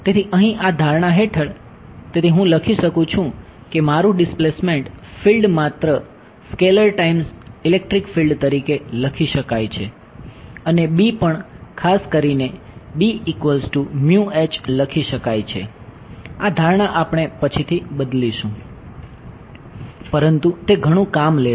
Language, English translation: Gujarati, So, over here under this assumption; so, I can write down that my displacement field can be written as just a scalar times electric field and B also can be written as mu H in particular this assumption we will change later, but it takes a lot of work